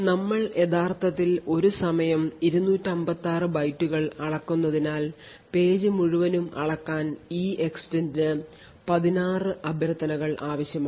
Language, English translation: Malayalam, Since we are actually measuring 256 bytes at a time so therefore, we have 16 invocations of EEXTEND needed to measure the whole page